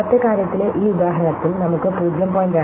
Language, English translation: Malayalam, So, in this example in the previous thing we have two frequencies 0